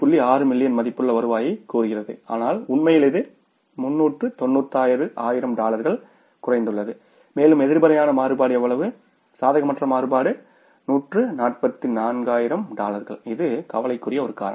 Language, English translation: Tamil, 6 million worth of revenue but actually it has come down to 396 thousand dollars and there is a negative variance, unfavorable variance of how much, $144,000 which is a cause of concern here